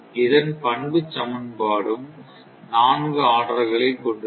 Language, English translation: Tamil, So, there are four equations; four equations